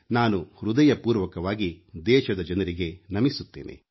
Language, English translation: Kannada, I heartily bow to my countrymen